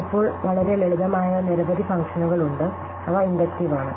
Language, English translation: Malayalam, Now, there are many very simple functions which we come across which are inductive